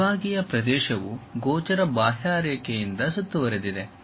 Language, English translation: Kannada, Sectional area is bounded by a visible outline